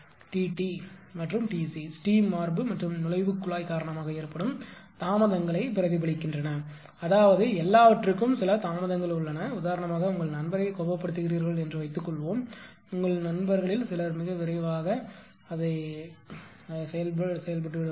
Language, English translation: Tamil, T t T r and T c represent delays due to steam chest and inlet piping, I mean everything has some delays right ah for example, suppose you make your friend angry some some of your friend will react to very quickly